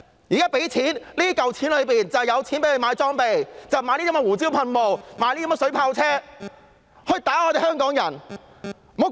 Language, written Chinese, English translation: Cantonese, 這項臨時撥款包括警方購買裝備的款項，讓他們買胡椒噴霧、水炮車來攻擊香港人。, This funds - on - account proposal contains funding for the Police Force to procure equipment so that they can buy pepper sprays and water cannon vehicles to assault Hongkongers